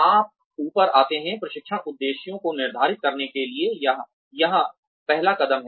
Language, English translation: Hindi, You come up, the first step here is, to set training objectives